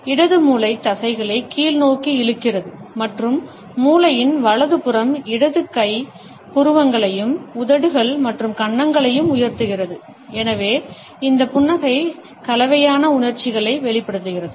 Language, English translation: Tamil, The left brain pulls the muscles downwards and the right side of the brain raises the left hand side eyebrows as well as the lips and cheeks and therefore, this smile expresses mixed emotions